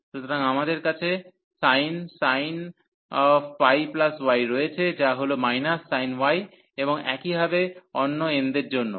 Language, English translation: Bengali, So, we have sin pi plus y, which is minus sin y, and similarly for other n